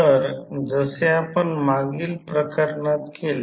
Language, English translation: Marathi, So, as we did in the previous case